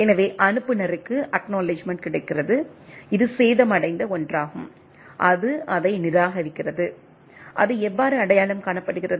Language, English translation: Tamil, So, the sender gets acknowledgement, which is a damaged one and it discards it and how it is identifying